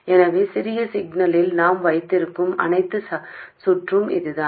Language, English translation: Tamil, So this is all the circuit we will have in the small signal